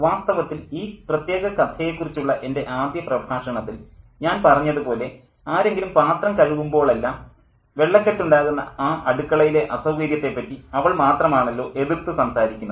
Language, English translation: Malayalam, In fact, as I said in my first lecture on this particular story, that she is the only one who objects to the inconvenience of this kitchen which floods every time somebody washes the dishes